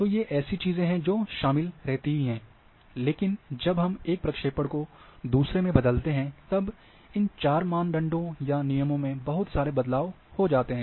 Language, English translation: Hindi, So, these are things which are involved, but when we change from one projection to another, there might be lot of changes will occur in a in these four criteria or rules